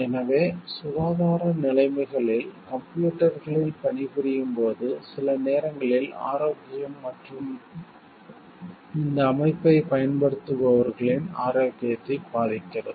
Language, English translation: Tamil, So, in health conditions so, while working in computers sometimes affect the health and of the users of this system